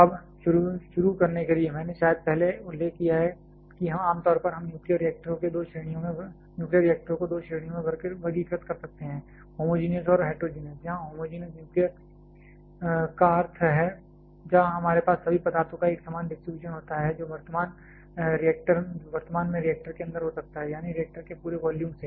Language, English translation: Hindi, Now, to start with I probably have mentioned earlier that commonly we can classify nuclear reactors into two categories: homogeneous and heterogeneous, where homogenous nuclear refers to the one where we have a uniform distribution of all the substance that may be presently inside the reactor; that is from the entire volume of the reactor